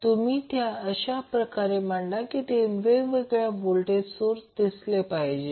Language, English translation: Marathi, So, what you can do you can arrange them in such a way that it looks like there are 3 different voltage sources